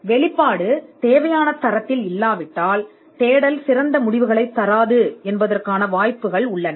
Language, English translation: Tamil, If the disclosure is not up to the mark, there are chances that the search will not yield the best results